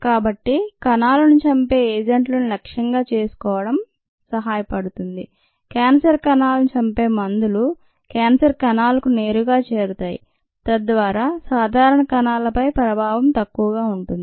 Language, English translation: Telugu, so it becomes ah helpful to target the killing agents, the drugs that kill the cancer cells, directly to the cancerous cells, so that the effect on the normal cells is minimal